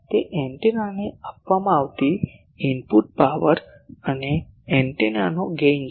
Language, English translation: Gujarati, That it is a product of the input power given to an antenna and the gain of the antenna